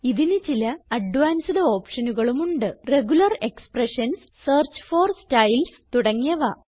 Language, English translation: Malayalam, It has other advanced options like Regular expressions, Search for Styles and a few more